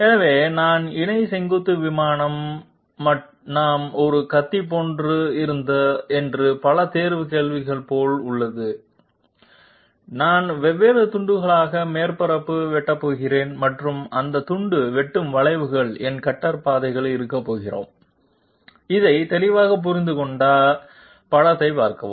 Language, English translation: Tamil, So I have parallel vertical plane is just like that multiple choice question that we had just like a knife I am going to slice the surface into different slices and those slice interaction curves are going to be my cutter paths, see the figure which will make it clear